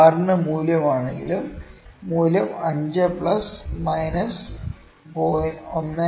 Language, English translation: Malayalam, Even if the value of r, let me say if the value is 5 plus minus 0